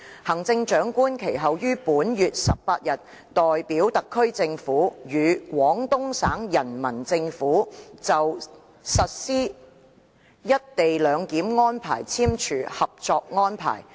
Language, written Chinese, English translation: Cantonese, 行政長官其後於本月18日代表特區政府，與廣東省人民政府就實施一地兩檢安排簽署《合作安排》。, Subsequently on the 18 of this month the Chief Executive signed on behalf of the SAR Government with the Peoples Government of Guangdong Province the Co - operation Arrangement for implementing the co - location arrangement